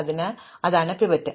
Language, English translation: Malayalam, So, this is the pivot